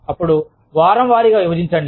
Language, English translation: Telugu, Then, break it into week wise